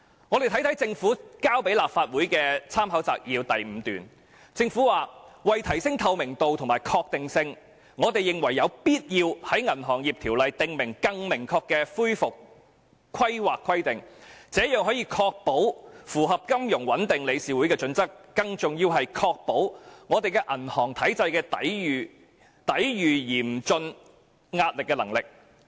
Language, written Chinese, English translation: Cantonese, 我們看看立法會參考資料摘要第5段，政府說"為提升透明度及確定性，我們認為有必要在《銀行業條例》訂立更明確的恢復規劃規定，這樣除可確保符合金融穩定理事會的準則，更重要的是可確保我們銀行體系抵禦嚴峻壓力的能力"。, Let us look at paragraph 5 of the Legislative Council Brief . The Government said To provide greater transparency and certainty it is considered necessary to prescribe explicit recovery planning requirements in the Banking Ordinance . This will ensure compliance with the relevant Financial Stability Board standards and more importantly the resilience of our banking system to cope with severe stress